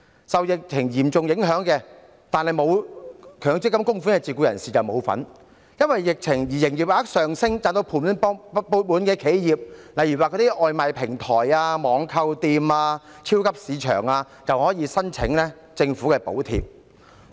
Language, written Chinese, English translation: Cantonese, 受疫情影響但沒有強積金供款的自僱人士不能受惠，因為疫情而營業額上升，賺至盤滿缽滿的企業，例如外賣平台、網購店和超級市場，卻可以申請政府的補貼。, Self - employees who are affected by the epidemic but do not make any MPF contribution cannot benefit . Yet enterprises making fat profits from the increase in business turnover in the wake of the epidemic such as takeaway platforms online shops and supermarkets may apply for government subsidies